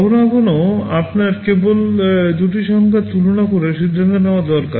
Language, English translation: Bengali, Sometimes you just need to compare two numbers and take a decision